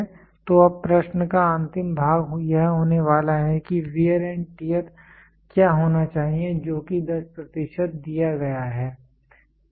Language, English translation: Hindi, So, now the last part of the question is going to be what should be the wear and tear which is given as of 10 percent, ok